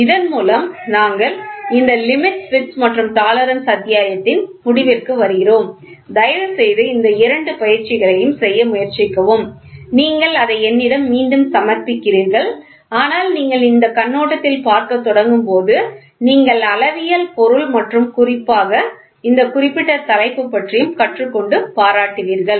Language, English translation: Tamil, With this we come to the end of this limits, fits and tolerance chapter and please try to do these two exercise these two exercise are not assignments you submit it back to me, but when you start looking from this perspective, you will learn and you will appreciate the metrology subject and this particular topic in particular